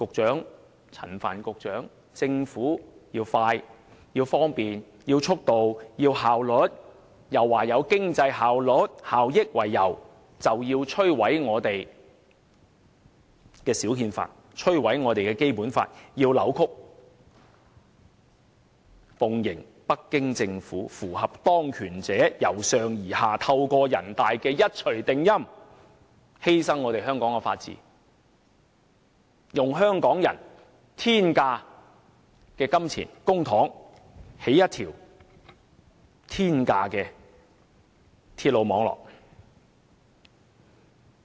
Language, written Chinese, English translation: Cantonese, 陳帆局長和政府要求方便、速度和效率，又以經濟效益為由摧毀我們的小憲法、扭曲《基本法》，奉迎北京政府，符合當權者由上而下透過人大的一錘定音，犧牲香港的法治，用香港人的公帑興建天價的鐵路網絡。, Secretary Frank CHAN and the Government pursued convenience speed and efficiency; destroyed our mini constitution and distorted the Basic Law on the pretext of economic benefits and curried favour with the Beijing Government by following the top - down decision made by those in authority via NPCSC to build at the expense of Hong Kongs rule of law this exorbitant railway network using the public money of Hong Kong people